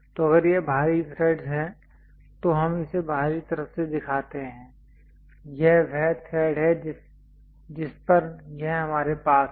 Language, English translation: Hindi, So, if it is external threads we show it from the external side this is the thread on which we have it